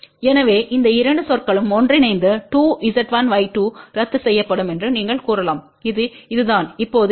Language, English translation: Tamil, So, you can say that 2 Z 1 Y 2 will get cancel by these two terms combined together and this is now Z 1 square Y 2 square